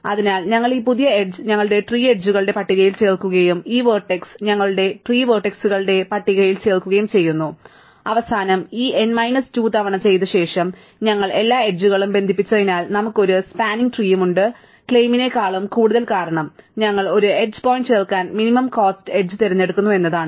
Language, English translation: Malayalam, So, we append this new edge to our list of tree edges and we add this vertex to our list of tree vertices, and at the end after doing this n minus 2 times, it claim as we connected all the edges, we have a spanning tree and more over the claim is because we are choosing the minimum cost edge to add a each point